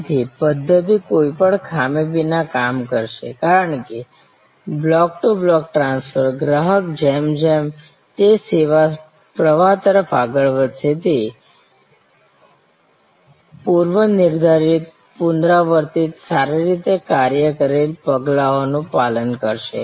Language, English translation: Gujarati, So, the system will work without any glitch, because block to block transfer, the customer as he or she proceeds to the service flow will follow predetermined, repeatable, well worked out steps